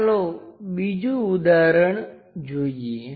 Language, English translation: Gujarati, Let us look at other example